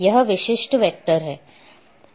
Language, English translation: Hindi, That is typical vector